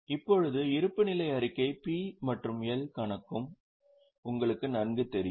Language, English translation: Tamil, Now, you already know balance sheet, you also know P&L account